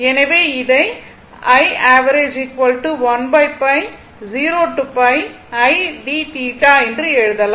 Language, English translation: Tamil, So, that is written here right